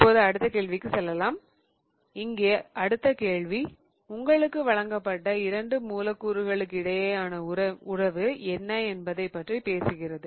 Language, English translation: Tamil, Now, the next problem here is asking you about what is the relationship between the two molecules